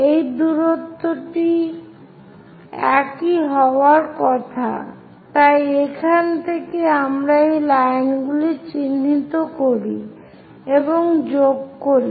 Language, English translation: Bengali, This distance supposed to be same as, so from here, let us mark and join these lines